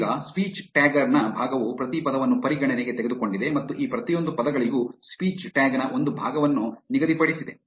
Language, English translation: Kannada, Now the part of speech tagger has taken each word into consideration and assigned a part of speech tag for each of these words